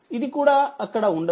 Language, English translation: Telugu, So, this is also not there